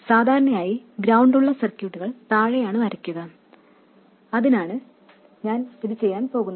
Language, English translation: Malayalam, Normally we draw circuits with the ground as the bottom rail and that's what I'm going to do for this as well